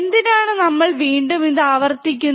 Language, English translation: Malayalam, Now, why we are kind of repeating this thing